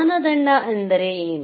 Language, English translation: Kannada, What is criteria